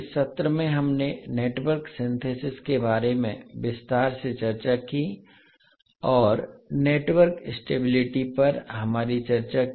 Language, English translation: Hindi, So in this session, we discussed about the Network Synthesis in detail and also carried out our discussion on Network Stability